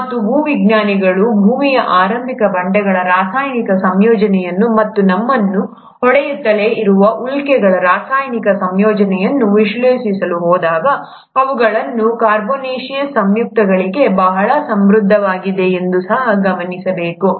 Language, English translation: Kannada, And, it should also be noted that when geologists went on analyzing the chemical composition of the early rocks of earth and the meteorites, which continue to keep hitting us, they were found to be very rich in carbonaceous compounds